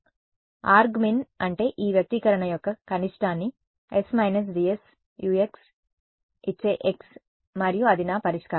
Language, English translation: Telugu, So, argmin means that x which gives the minimum of this expression s minus G S Ux and that is my solution